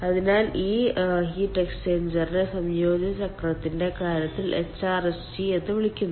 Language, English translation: Malayalam, so this heat exchanger is called hrsg in case of combined cycle and ah